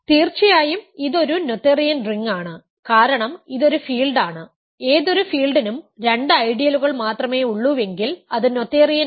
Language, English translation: Malayalam, This of course, is a noetherian ring because it is a field; any field is noetherian because it has only two ideals